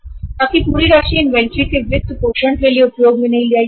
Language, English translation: Hindi, Your entire amount cannot use for funding the inventory